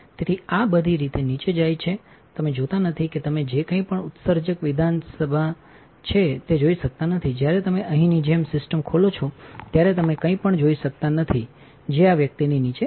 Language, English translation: Gujarati, So, this goes all the way down you do not you cannot see anything which is emitter assembly, when you open the system like here you cannot see anything which is below this guy correct